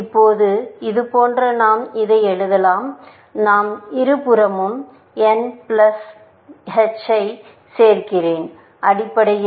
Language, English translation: Tamil, Now, if this is the case we can write this as, I am just adding plus h of n to both sides, essentially